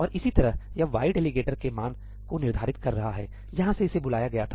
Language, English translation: Hindi, And similarly this y is setting the value of the delegator, where it was called from